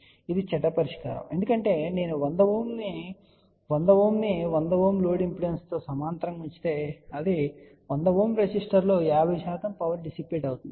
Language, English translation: Telugu, Now, that is a bad solution because if I put a 100 Ohm resistor in parallel with load impedance of 100 Ohm , then 50 percent power will get dissipated in that 100 Ohm resistor